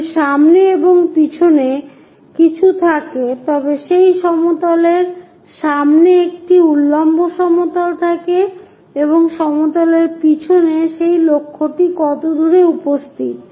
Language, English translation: Bengali, If something like in front and behind, there is a vertical plane in front of that plane how far that objective is present, behind the plane how far that objective is present